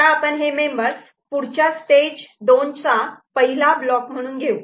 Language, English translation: Marathi, So, we take up this as a member that goes into the next stage 2 first block ok